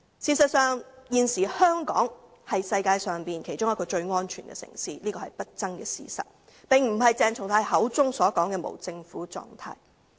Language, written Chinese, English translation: Cantonese, 事實上，現時香港是世界上其中一個最安全的城市，這是不爭的事實，而並非如鄭松泰議員口中所說般處於無政府狀態。, As a matter of fact now Hong Kong is one of the safest cities in the world . This is an indisputable fact . It is not in a state of anarchy as claimed by Dr CHENG Chung - tai